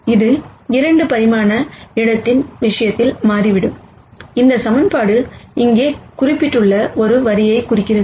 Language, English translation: Tamil, It turns out in this case of the 2 dimensional space, this equation represents a line which is depicted here